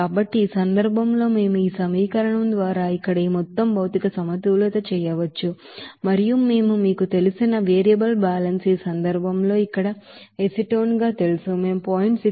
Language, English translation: Telugu, So in this case, we can do this overall material balance here by this equation and then if we do the you know material balance for you know acetone here in this case, we can say that 0